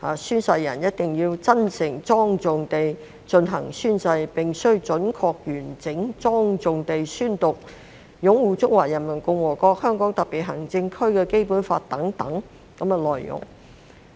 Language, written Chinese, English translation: Cantonese, 宣誓人一定要真誠莊重地進行宣誓，必須準確、完整、莊重地宣讀擁護《中華人民共和國香港特別行政區基本法》等內容。, An oath taker must take the oath sincerely and solemnly and must accurately completely and solemnly read out the content of the oath including upholding the Basic Law of the Hong Kong Special Administrative Region of the Peoples Republic of China